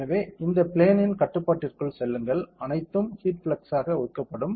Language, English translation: Tamil, So, just go inside this work plane control a, all everything got assign for the heat flux